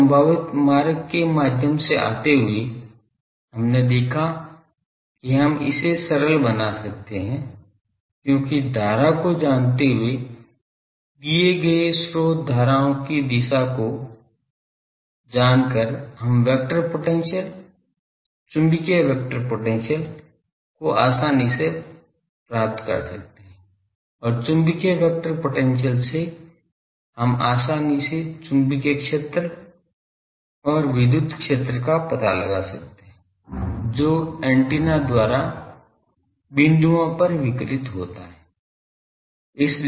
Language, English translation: Hindi, Coming through this potential route we have seen we can simplify because knowing the current given source currents direction we can easily find the vector potential magnetic vector potential, and from magnetic vector potential easily we can find the magnetic field and electric field that is radiated by the antenna at the points ok